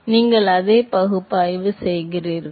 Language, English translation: Tamil, So, you do exactly the same analysis